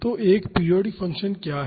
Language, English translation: Hindi, So, what is a periodic function